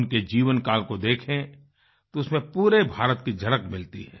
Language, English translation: Hindi, A glimpse of his life span reflects a glimpse of the entire India